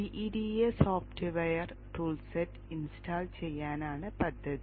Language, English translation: Malayalam, The plan is to install GEDA software toolset